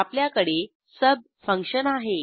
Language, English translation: Marathi, Here we have sub function